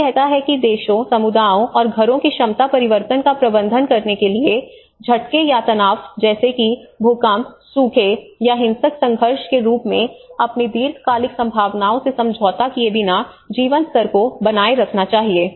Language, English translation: Hindi, It says the ability of countries, communities, and households to manage change, by maintaining or transforming living standards in the face of shocks or stresses such as earthquakes, droughts or violent conflict without compromising their long term prospects